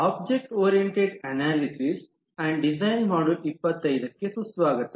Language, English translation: Kannada, Welcome to module 25 of object oriented analysis and design